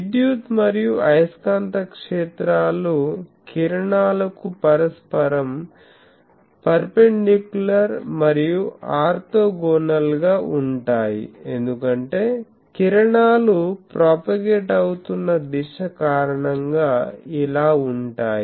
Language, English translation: Telugu, The electric and magnetic fields are mutually perpendicular and orthogonal to the rays because, rays are the direction of propagation